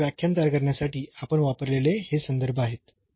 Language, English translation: Marathi, And these are the references we have used to prepare these lecture